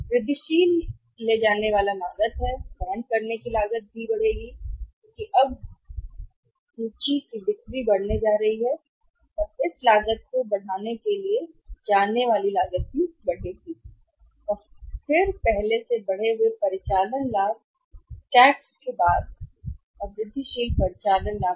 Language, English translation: Hindi, Incremental carrying cost is calling carrying cost will also increase because now the sales are going to increase inventory is going to increase so carrying cost will also increase and then incremental operating profit before tax and incremental operating profit after Tax